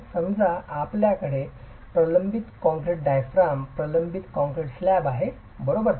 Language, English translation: Marathi, So let's say you have a reinforced concrete diaphragm, a reinforced concrete slab, right